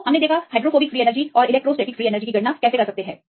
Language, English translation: Hindi, So, we can calculate the hydrophobic free energy and the electrostatic free energy